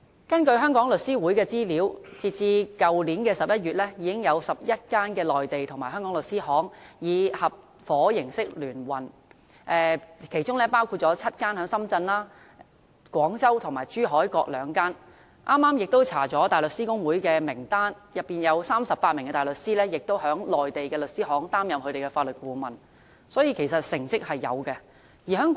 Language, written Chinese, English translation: Cantonese, 根據香港律師會的資料，截至去年11月已經有11間內地和香港律師行以合夥形式聯運，其中深圳有7間，廣州和珠海各2間；我剛剛亦翻查了大律師公會的名單，當中有38名大律師在內地的律師行擔任法律顧問，所以，其實是有成績的。, According to information of the Law Society of Hong Kong as of last November 11 law firms in Mainland - Hong Kong partnership have been set up; and of these law firms seven are located in Shenzhen and two each in Guangzhou and Zhuhai . I also looked up the barristers listed by the Hong Kong Bar Association just now and found 38 barristers are currently acting as legal advisors in Mainland law firms . So there is considerable progress in this regard